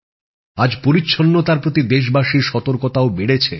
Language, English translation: Bengali, Today, the seriousness and awareness of the countrymen towards cleanliness is increasing